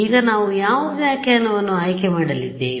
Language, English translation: Kannada, Now which interpretation now we are going to choose